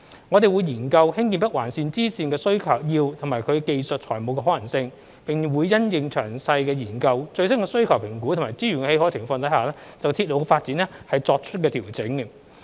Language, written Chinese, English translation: Cantonese, 我們會研究興建北環綫支綫的需要及其技術與財務可行性，並會因應詳細研究、最新需求評估及資源的許可情況就鐵路發展作出調整。, We will study the need as well as the technical and financial feasibilities of constructing the bifurcation of NOL and adjust the development timetable according to the detailed study assessment on the latest demand and availability of resources